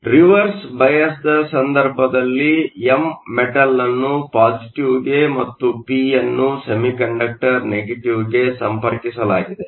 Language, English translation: Kannada, In the case of a reverse bias, So, m and p; the metal is connected to positive, the semiconductor is connected to negative